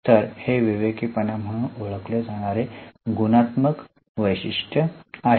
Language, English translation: Marathi, So, this is the first qualitative characteristic known as prudence